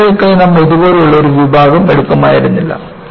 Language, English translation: Malayalam, You would not have taken a section like this for rails